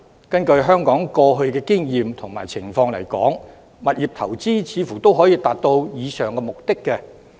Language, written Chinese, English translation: Cantonese, 根據香港過去的經驗和情況來說，物業投資似乎也可達到上述目的。, Insofar as past experiences and circumstances in Hong Kong are concerned this objective can be achieved by property investments